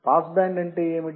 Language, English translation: Telugu, What is pass band